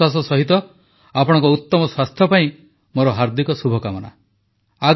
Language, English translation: Odia, With this assurance, my best wishes for your good health